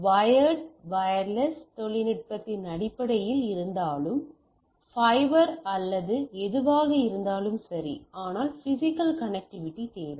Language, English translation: Tamil, So, whether it is wired, wireless it based on the technology, nevertheless or fibre or whatever, but nevertheless I require a physical connectivity